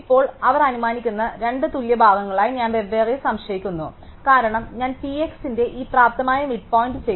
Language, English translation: Malayalam, Now, I separately doubt into two equal parts they assumption, because I have done this able midpoint of P x